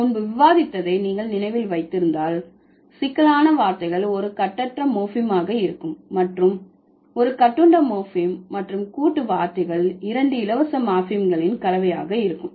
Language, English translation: Tamil, If you remember what we discussed before, the complex words are going to be combination of two free morphemes and compound words are going to be one free morphem and one bound morphem